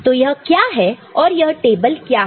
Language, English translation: Hindi, So, what is that and what is this table